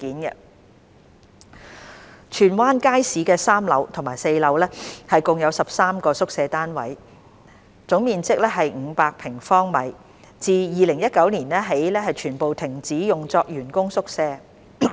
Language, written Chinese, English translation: Cantonese, 二荃灣街市的3樓和4樓共有13個宿舍單位，總面積約為500平方米，自2019年起全部停止用作員工宿舍。, 2 There are 13 quarters units with a total area of about 500 sq m on the third and fourth floors of the Tsuen Wan Market all of which have been disused as staff quarters since 2019